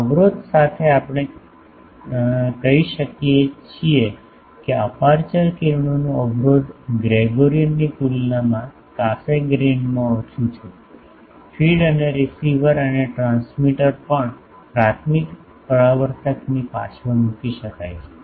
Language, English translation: Gujarati, Also with these the blockage we can say the blockage of aperture rays is less in Cassegrain than in Gregorian, also the feed and receiver and transmitter can be placed behind the primary reflector